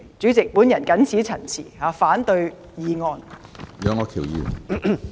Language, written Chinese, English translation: Cantonese, 主席，我謹此陳辭，反對議案。, With these remarks President I oppose the motion